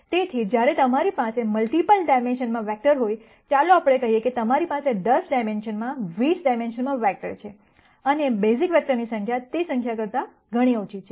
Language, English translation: Gujarati, So, when you have vectors in multiple dimensions, let us say you have vectors in 10 di mensions 20 dimensions and the number of basis vectors, are much lower than those numbers